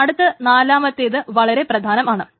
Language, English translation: Malayalam, Then the fourth point is extremely important